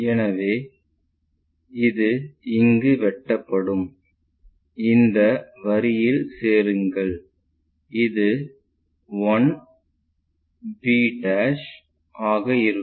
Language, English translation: Tamil, So, this one will be intersected there join this line, this will be apparent 1 b'